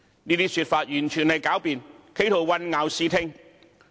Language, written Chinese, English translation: Cantonese, 這些說法完全是狡辯，企圖混淆視聽。, Such comments are nothing but sophistry that attempts to obscure the facts